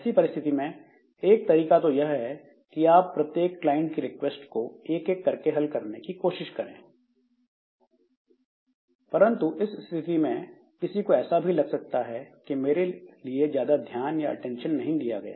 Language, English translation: Hindi, So, one way for handling this type of situation is that you create, you serve this client requests one by one, but that way somebody may feel that, okay, I am not getting enough care or enough attention